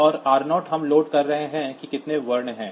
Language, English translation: Hindi, And r 0 we are loading how many characters are there